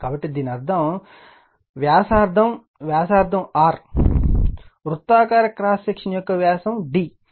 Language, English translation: Telugu, So, that means, your this one, your the radius mean radius R, circular cross section the of the diameter is d